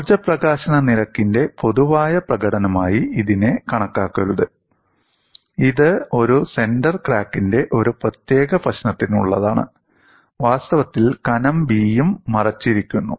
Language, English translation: Malayalam, Do not take this as the generic expression of energy release rate; this is for a specific problem of a center crack; In fact, the thickness b is also hidden